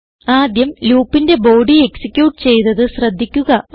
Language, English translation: Malayalam, You can see that the body of loop is executed first